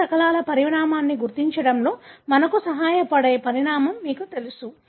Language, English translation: Telugu, You know the size that helps us to identify the size of other fragments